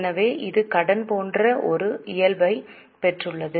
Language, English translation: Tamil, So, it has acquired a nature like debt